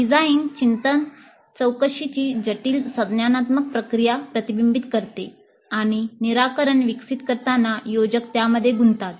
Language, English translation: Marathi, Design thinking reflects the complex cognitive process of inquiry and learning that designers engage in while developing the solutions